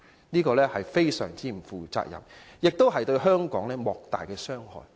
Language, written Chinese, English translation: Cantonese, 這是極不負責任，更對香港造成莫大的傷害。, This is extremely irresponsible . It will also do immense damage to Hong Kong